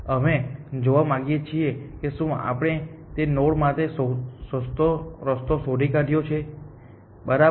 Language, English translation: Gujarati, We want to see if we have found the cheaper path to that node or not, correct